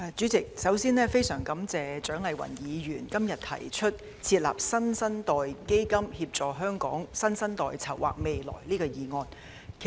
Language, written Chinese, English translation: Cantonese, 主席，首先，我非常感謝蔣麗芸議員今天提出"設立新生代基金，協助香港新生代籌劃未來"議案。, President first of all I am very grateful to Dr CHIANG Lai - wan for proposing the motion on Setting up a New Generation Fund to help the new generation in Hong Kong plan for their future today